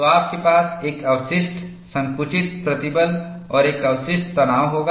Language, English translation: Hindi, So, you will have a residual compressive stress and a residual tension